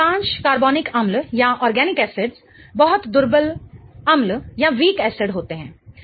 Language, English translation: Hindi, Most of the organic acids are very, very weak acids